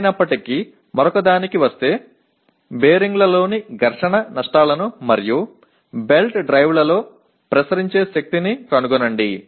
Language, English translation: Telugu, Anyway coming to another one, determine the friction losses in bearings and power transmitted in belt drives